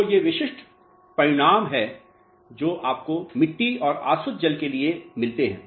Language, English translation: Hindi, So, these are the typical results which you get for soils and distilled water